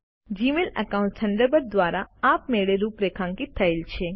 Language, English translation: Gujarati, Gmail accounts are automatically configured by Thunderbird